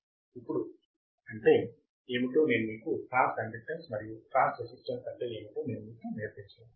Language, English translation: Telugu, Now, I am not going to teach you what is transconductance and transresistance